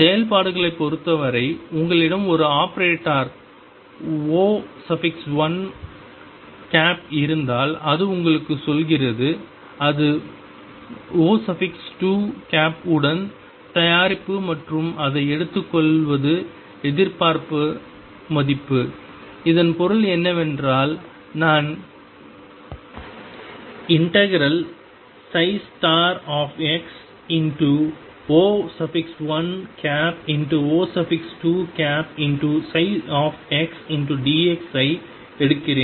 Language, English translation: Tamil, In terms of functions what it tells you is if I have an operator O 1, and it is product with O 2 and take it is expectation value, what that means, is I am taking psi star x O 1 operator O 2 operator psi x dx